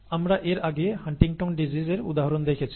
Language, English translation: Bengali, We have already seen an example of Huntington’s disease earlier